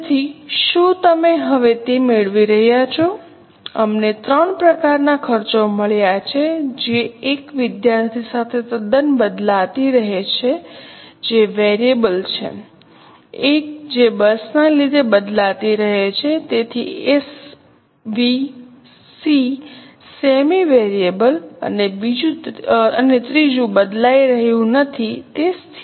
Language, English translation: Gujarati, We have got three types of costs, one which are totally changing with student, that is variable, one which are changing with bus, so SVC semi variable, and the third ones are not changing at all